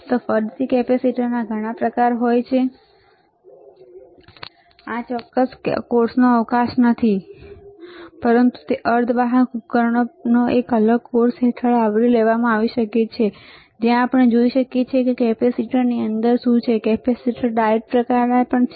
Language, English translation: Gujarati, So, again capacitors are several types again this is not a scope of this particular course, but that can be that can cover under a different course on semiconductor devices, where we can see what is then within the capacitor what are kind of capacitor the kind of diodes